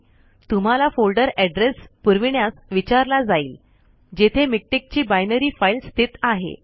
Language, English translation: Marathi, You will be asked to provide folder address where the binary files of Miktex are stored